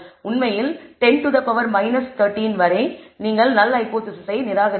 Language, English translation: Tamil, In fact, up 10 power minus 13 you will end up rejecting the null hypothesis